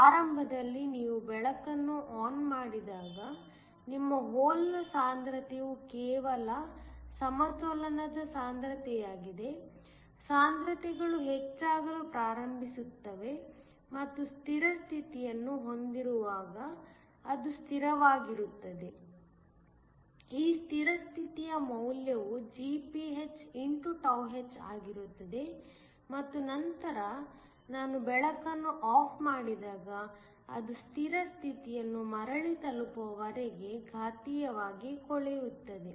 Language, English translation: Kannada, Initially, your hole concentration is just the equilibrium concentration when you turn on the light, the concentrations starts to increase and then it becomes a constant when have steady state, this steady state value is Gph x h and then when I turn the light off, it decades exponentially until it reaches back the steady state